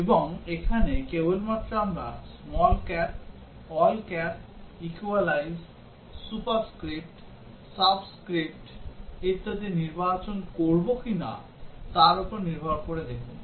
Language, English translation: Bengali, And here just see depending on whether we select small cap, all cap, equalise, superscript, subscript etcetera